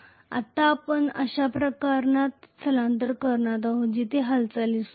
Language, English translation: Marathi, Now we are going to migrate to a case where there is a movement